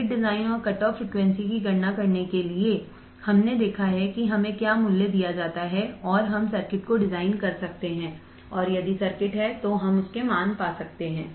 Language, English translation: Hindi, To design or to calculate the cutoff frequency given the circuit, we have seen if we are given the value we can design the circuit if the circuit is there we can find the values